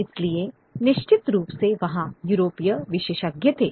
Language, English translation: Hindi, So they were certainly European experts